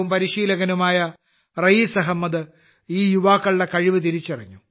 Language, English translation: Malayalam, Raees Ahmed, a former national player and coach, recognized the talent of these youngsters